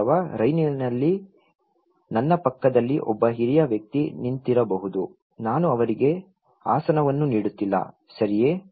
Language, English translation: Kannada, Or maybe in the train, there is elder person standing besides me, I am not offering her seat, is it okay